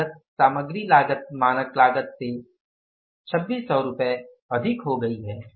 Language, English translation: Hindi, The cost material cost has gone up by 2,600 rupees more than the standard cost